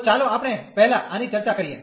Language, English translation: Gujarati, So, let us just discuss this one first